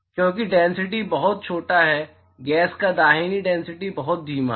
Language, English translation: Hindi, Because the density is very small right density of gas is very slow